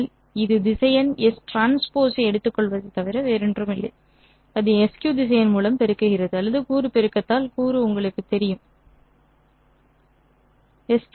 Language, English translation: Tamil, This is nothing but taking the vector S K transposing it, multiplying it by SQ vector or you know component by component multiplication this is the inner product